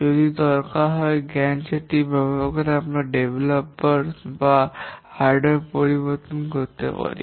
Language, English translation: Bengali, If necessary using a Gant chart, we can change the developers or hardware